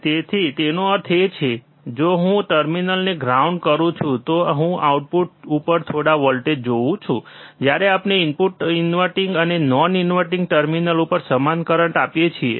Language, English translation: Gujarati, So that means, that if I ground by the terminals, I will see some voltage at the output, even when we apply similar currents to the input terminals inverting and non inverting terminals